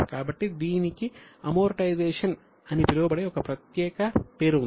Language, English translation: Telugu, So, there is a separate name for it known as amortization